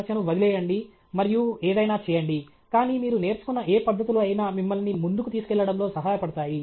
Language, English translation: Telugu, problem and do something, but whatever techniques you have learned will stand you in good state in taking you forward